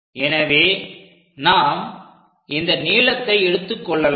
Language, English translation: Tamil, So, that this length we are going to measure it